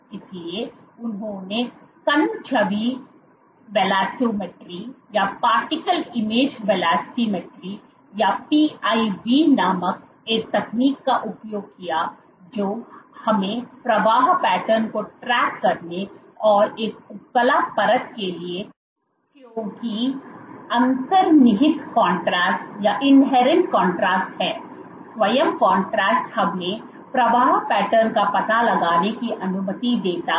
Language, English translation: Hindi, So, they used a technique called particle image velocimetry or PIV that allows us to track flow patterns and for an epithelial layer because there is inherent contrast the contrast itself allows us to detect flow patterns